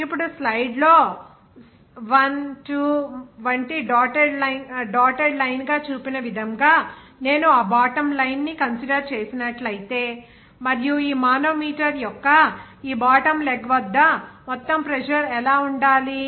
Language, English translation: Telugu, Now, if I consider that bottom line as shown here in the slide as dotted line like 1, 2 and what should be then total pressure at this bottom leg of this manometer